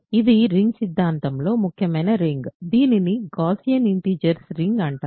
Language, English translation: Telugu, So, this is an important ring in ring theory, it is called the ring of Gaussian integers